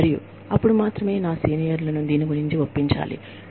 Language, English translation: Telugu, And, only then will, and my seniors, have to be convinced, about this